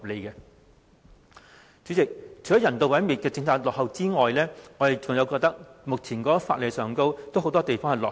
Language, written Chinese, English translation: Cantonese, 代理主席，除了有關人道毀滅的政策落後外，目前法例很多方面都相當落後。, Deputy President apart from the outdated policy of animal euthanasia many legislative provisions also fail to keep abreast of the times